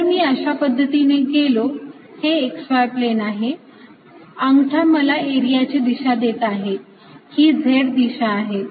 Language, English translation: Marathi, so if i go around like this, this is the x y plane, remember x and y thumb gives the direction of area